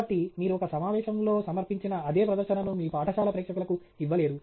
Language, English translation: Telugu, So, you cannot just make the same presentation that you make in a conference to your school audience